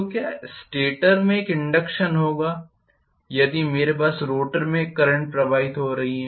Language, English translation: Hindi, So will there be an induction in the stator if I have a current flowing in the rotor